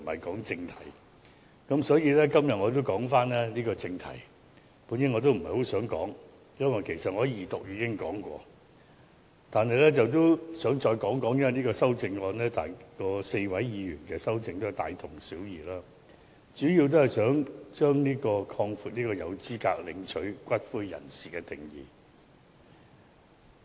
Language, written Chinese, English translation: Cantonese, 對於今天的議題，我本來不想發言，因為我在二讀時已發言，但現在也想再說說，因為4位議員的修正案內容大同小異，主要是想擴闊合資格領取骨灰的人士的定義。, With regard to the question today I did not intend to speak on it originally because I have made a speech in the debate on Second Reading . Yet I would like to say a few more words now because the amendments proposed by the four Members are more or less the same which mainly seek to expand the definition of persons eligible to claim for the return of ashes